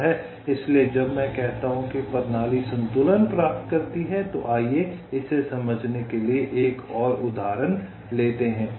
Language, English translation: Hindi, ah, so when i say system achieves equilibrium, lets take another example to illustrate this